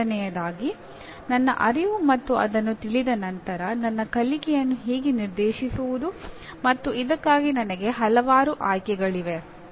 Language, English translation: Kannada, First thing my awareness and after that how do I direct my learning once I am aware of and I have several choices